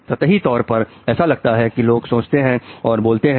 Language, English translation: Hindi, Although on the surface it all appears that people are thinking and talking